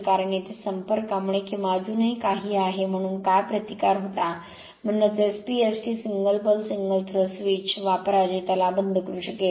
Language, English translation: Marathi, Because here because of the contact or something some still some your what you call some resistance was there that is why use SP ST the single pole single throw switch such that you can close it